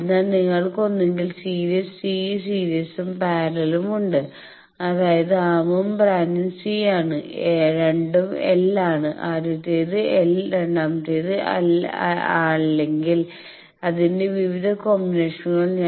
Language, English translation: Malayalam, So, you have either a series c both the series and parallel; that means, the arm and branch both are C both are L the first one, l the second one, l or various combinations